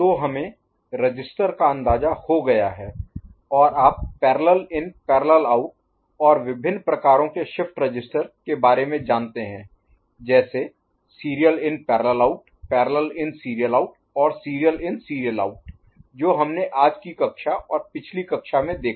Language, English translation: Hindi, So, we got an idea of the register and you know the parallel in parallel out and different kinds you know shift registers that is a SIPO, PISO and SISO in today’s class as well as the previous class as well as what is in the making of universal shift register